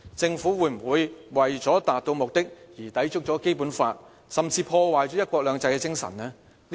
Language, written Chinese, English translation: Cantonese, 政府會否為了達到目的而抵觸《基本法》，甚至破壞"一國兩制"的精神呢？, Will the Government violate the Basic Law or even ruin the spirit of one country two systems in order to achieve its purposes?